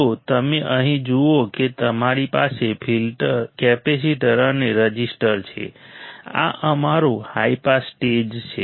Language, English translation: Gujarati, So, you see here we have capacitor and resistor this is our high pass stage